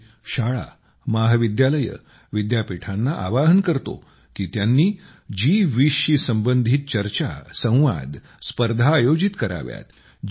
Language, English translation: Marathi, I would also urge schools, colleges and universities to create opportunities for discussions, debates and competitions related to G20 in their respective places